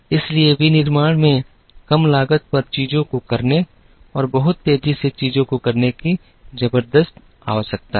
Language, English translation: Hindi, So, there is a tremendous need in manufacturing, to do things at less cost and to do things very fast